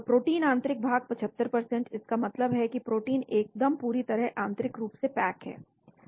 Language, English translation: Hindi, Protein interior 75%, that means proteins are very tightly packed interiorly